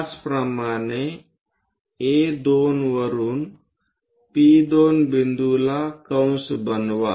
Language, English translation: Marathi, Similarly, from A2 make an arc P2 point